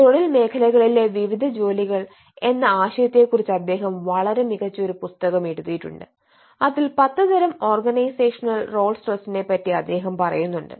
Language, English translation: Malayalam, he has written a very wonderful book on ah, the concept of role in organizational sectors, where he identifies 10 types of organizational role stress